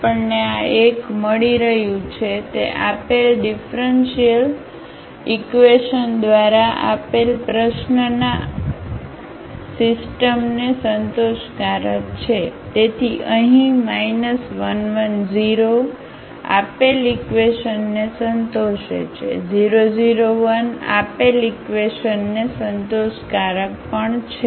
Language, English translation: Gujarati, That we are getting this is either 1 is satisfying the given differential equation the given system of the question, so here minus 1 1 0 satisfies the given equation, also 0 0 1 is satisfying the given equation